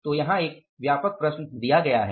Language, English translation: Hindi, So this is the comprehensive problem given here